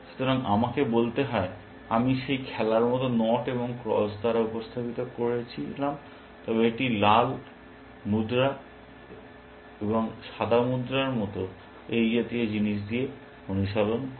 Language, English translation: Bengali, So, which let me say, I am representing by knots and crosses like that game, but it practices like, red coin and white coin, and things like that